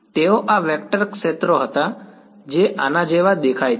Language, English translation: Gujarati, They were these vector fields that look like this right